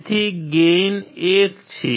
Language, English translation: Gujarati, Gain is 1